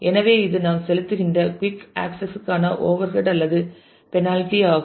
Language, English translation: Tamil, So, it is an overhead or penalty for quicker access that we are paying